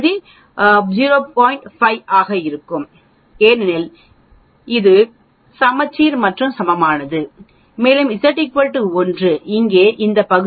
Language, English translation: Tamil, 5 because it is symmetric and equal and when z is equal to 1 here that means this area will be 0